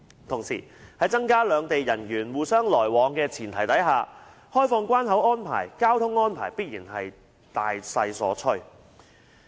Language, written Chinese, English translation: Cantonese, 同時，在增加兩地人員互相來往的前提下，開放關口安排、交通安排必然是大勢所趨。, At the same time under the premise of promoting the flow of personnel between the two places it will certainly be an inevitable trend to relax various immigration and customs arrangements and traffic arrangements